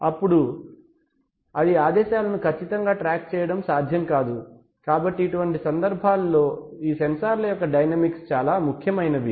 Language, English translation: Telugu, And it will not be possible to exactly track you know moving commands, so in such cases dynamics of these sensors are actually important